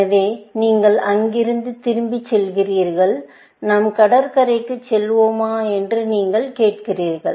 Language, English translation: Tamil, So, you back track from here, and you say, shall we go to the beach